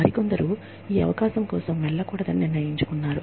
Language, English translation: Telugu, Yet others, decided not to go in for, this opportunity